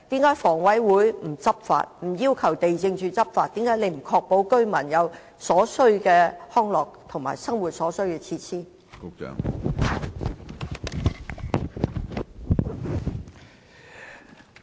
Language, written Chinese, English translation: Cantonese, 為何房委會不執法、不要求地政總署執法、為何不確保居民可以享有所需的康樂和生活設施？, How come HA has neither enforced the law nor asked LandsD to enforce the law; and how come it has not secured for the residents the provision of amenities and facilities to meet their daily needs?